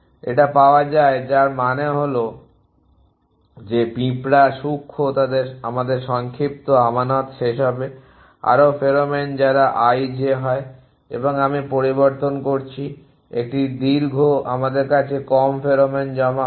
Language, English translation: Bengali, It is found which means that the ant switch fine shorter to us will end of the deposits more pheromone on those i j is and I am switch a found long to us will at the deposited in less pheromone